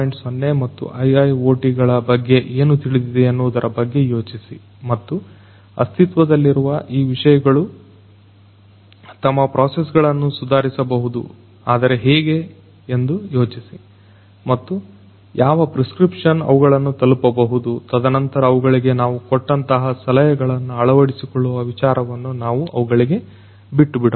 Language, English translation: Kannada, 0 and IIoT and think whether and how these existing concepts can improve their processes, and what prescription could to be meet to them and then we leave it to them to think about whether they would like to adopt whatever suggestions that we give for them